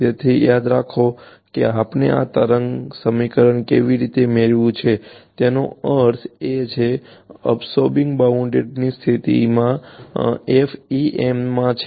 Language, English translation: Gujarati, So, remember how we have derived the this wave equation I mean the absorbing boundary condition is in FEM